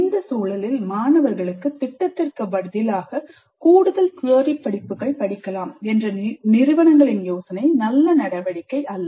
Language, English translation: Tamil, In this context, the idea of some of the institutes to give an option to the students to do additional theory courses in place of a project probably is not a very good move